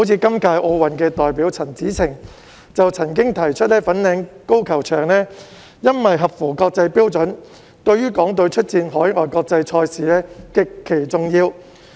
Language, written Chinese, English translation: Cantonese, 今屆奧運代表陳芷澄就曾經提出，由於粉嶺高爾夫球場合乎國際標準，對於港隊出戰海外國際賽事極其重要。, This years Olympic representative Tiffany CHAN has pointed out that since the Fanling Golf Course is up to international standards it is very important for the Hong Kong team to compete in overseas international tournaments